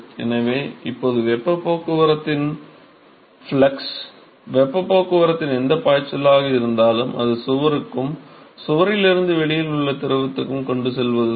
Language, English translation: Tamil, So, now, the flux of heat transport, whatever flux of heat transport is essentially what is transport to the wall and from the wall it is transport to the fluid outside